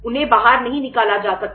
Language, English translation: Hindi, They cannot be thrown out